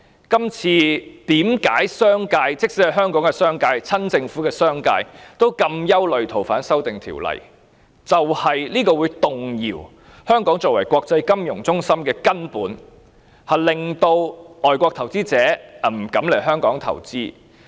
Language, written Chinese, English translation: Cantonese, 即使是香港的商界，甚至是親政府的商界，對於這次修例同樣感到憂慮，原因是這次修訂會動搖香港作為國際金融中心的根本，令外國投資者不敢來港投資。, The business sector even the pro - Government business sector is concerned about this legislative amendment because it will rock the very foundation of Hong Kong as an international financial centre and scare away international investors from investing in Hong Kong